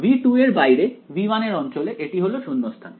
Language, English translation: Bengali, Only inside v 2 outside v 2 in the region v 1 its vacuum